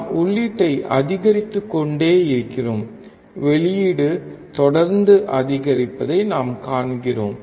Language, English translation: Tamil, We keep on increasing input; we see keep on increasing the output